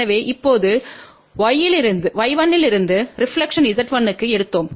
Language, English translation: Tamil, So, now from y 1 we took the reflection went to Z 1